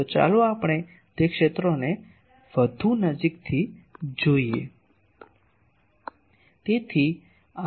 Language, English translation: Gujarati, So, let us see those fields more closely